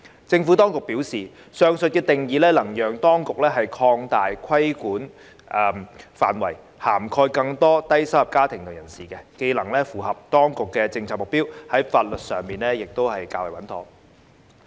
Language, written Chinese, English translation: Cantonese, 政府當局表示，上述定義能讓當局擴大規管範圍，涵蓋更多低收入家庭及人士，這既能符合當局的政策目標，在法律上亦較為穩妥。, The Administration has advised that the above definition will enable the authorities to cast a wider net to cover the low - income families and individuals which can meet its policy objective whilst being legally sound